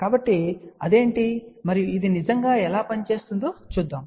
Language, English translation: Telugu, So, let us see what it is and how it really works ok